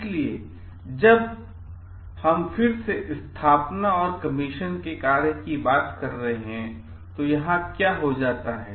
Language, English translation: Hindi, So, like when we again talking of the function of installation and commission, here what happens